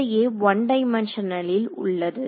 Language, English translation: Tamil, So, this is in one dimension